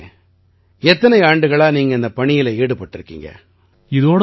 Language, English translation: Tamil, Gaurav ji for how many years have you been working in this